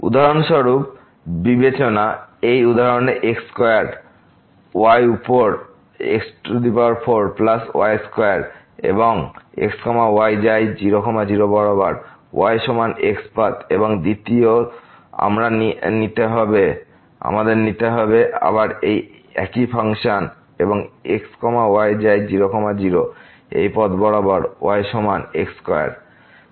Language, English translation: Bengali, For example, consider this example square over 4 plus square and goes to along is equal to path and second we will take again the same function and goes to along this path is equal to square